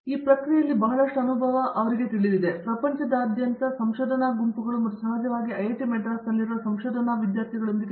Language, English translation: Kannada, So, lot of experience in that process working with you know, research groups from across the world and also of course, with the research students here at IIT, Madras